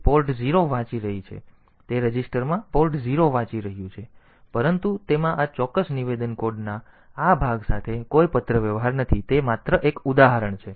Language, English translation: Gujarati, It is reading port 0 into the a register something like that, but that has this particular statement does not have any correspondence with this piece of code it is just an example